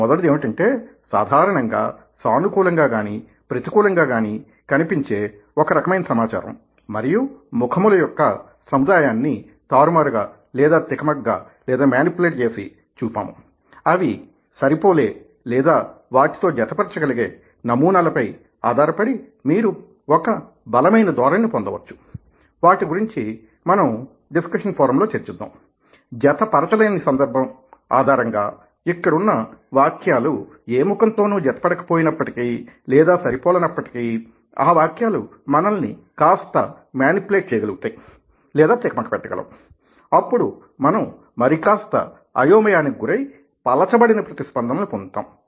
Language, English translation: Telugu, the first one is that we have a manipulated, a certain set of information and faces in general either look positive or negative and based on that, where they match the patterns, you would have get a strong trend which we will discuss in the forum and, depending on a mismatch, inspite of the mismatch, to a certain extent the text manages to manipulate us and we get a slightly more confused, diluted set of responses